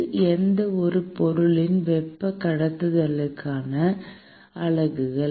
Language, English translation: Tamil, That is the units for the thermal conductivity of any material